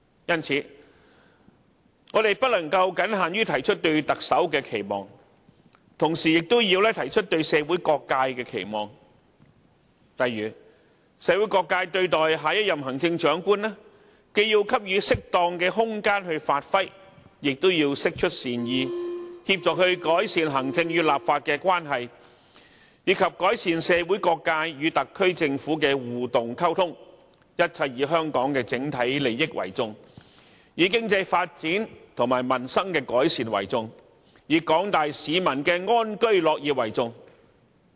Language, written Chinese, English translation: Cantonese, 因此，我們不能僅限於提出對特首的期望，同時亦要提出對社會各界的期望，例如社會各界對待下一任行政長官，既要給予適當的空間發揮，也要釋出善意，協助改善行政與立法的關係，以及改善社會各界與特區政府的互動溝通，一切以香港的整體利益為重，以經濟發展和民生改善為重，以廣大市民的安居樂業為重。, For example the community should give appropriate room to the next Chief Executive for giving play to his or all abilities . The community should also extend the olive branch and help him or her to improve the relationship between the executive and the legislature as well as the interaction between the community and the SAR Government . The overall interest of Hong Kong economic development the improvement of peoples livelihood and a life of contentment for all must always be the emphases